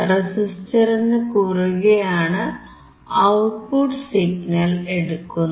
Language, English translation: Malayalam, And the output signal is taken across the resistor